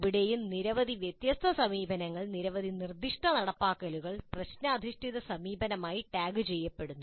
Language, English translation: Malayalam, Here also several different approaches, several different specific implementations are tagged as problem based approach